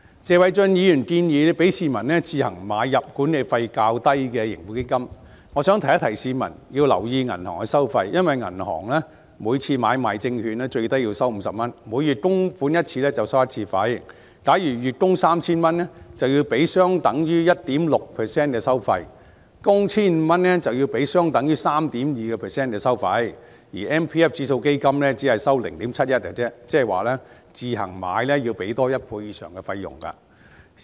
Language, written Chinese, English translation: Cantonese, 謝偉俊議員建議容許市民自行買入管理費較低的盈富基金，我想提醒市民要留意銀行收費，因為銀行每次作出買賣證券的最低收費為50元，每月供款一次便收取一次費用，假如月供 3,000 元便需要支付相等於 1.6% 的收費，供款 1,500 元則要支付相等於 3.2% 的收費，而強積金指數基金只收取 0.71%， 即自行買入盈富基金要多付1倍以上的費用。, Mr Paul TSE proposes to allow the public to buy the Tracker Fund of Hong Kong which charges a lower management fee at their own expenses . I would like to remind the public of the bank charges . Since the minimum charge for trading securities via the bank is 50 for each transaction and a charge will be levied for each monthly contribution a monthly contribution of 3,000 will incur a charge at 1.6 % and a monthly contribution of 1,500 will incur a charge at 3.2 % compared with 0.71 % for the MPF Index Fund